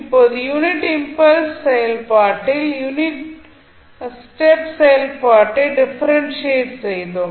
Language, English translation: Tamil, Now, if you integrate the unit step function so in case of unit impulse function we differentiated the unit step function